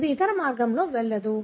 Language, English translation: Telugu, It doesn’t go the other way